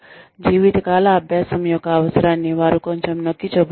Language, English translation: Telugu, They are emphasizing, the need for lifelong learning, quite a bit